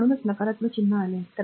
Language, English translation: Marathi, So, that is why the negative sign has come